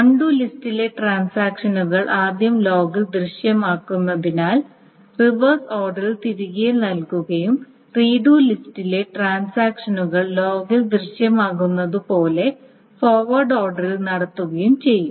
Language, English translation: Malayalam, So the transactions in the undo list are first reverted back in the reverse order as they appear in the log and the transactions in the redo list are then done in the forward under as they appear in the log